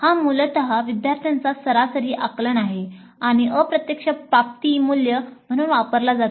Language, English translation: Marathi, This is essentially average perception of students and that is used as the indirect attainment value